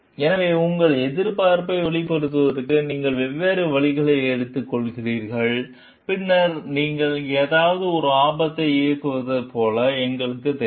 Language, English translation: Tamil, So, you take different avenues for voicing your protest, and then and we know like you run a risk for something